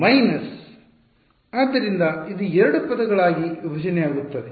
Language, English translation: Kannada, Minus right; so, this will split into two terms